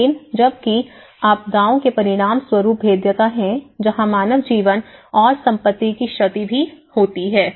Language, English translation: Hindi, But whereas, the vulnerabilities as a result of disaster that is where even loss of human life and property damage